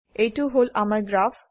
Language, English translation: Assamese, Here is my graph